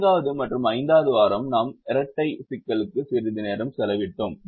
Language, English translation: Tamil, the fourth and fifth week we spend some time on the dual